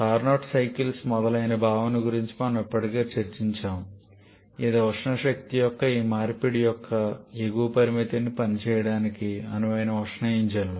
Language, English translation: Telugu, And we have already discussed about the concept of Carnot cycles etcetera which are ideal heat engines providing the upper limit of this conversion of thermal energy to work